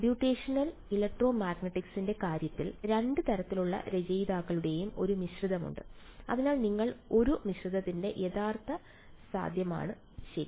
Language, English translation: Malayalam, And in are in the case of computational electromagnetic, there is a mix of both kind of authors so you it is a genuine possibility of a mix up ok